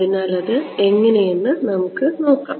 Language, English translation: Malayalam, So, let us see how